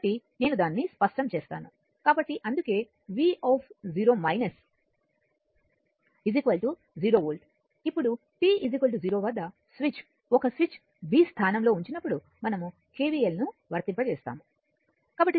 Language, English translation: Telugu, So, that is why your v 0 minus is equal to 0 volt now at t is equal to 0 when switch one switch was placed in position b we apply KVL